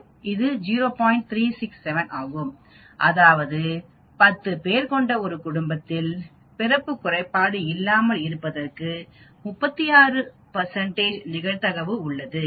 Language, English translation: Tamil, 367 that means there is 36 percent probability that in a family of 10 people nobody is having the birth defect